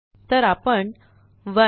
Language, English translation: Marathi, So we will type 1